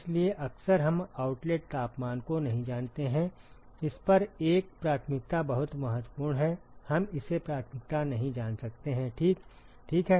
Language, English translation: Hindi, Therefore, often we do not know outlet temperature a priori on this is very important we may not know it a priori, ok